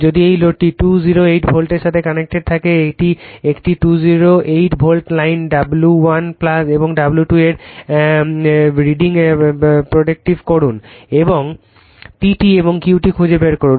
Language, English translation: Bengali, If the load is connected to 208 volt, a 208 volt lines, predict the readings of W 1 and W 2 also find P T and Q T right